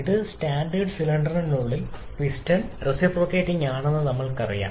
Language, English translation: Malayalam, This is standard reciprocating engine for we know that the piston reciprocates within the cylinder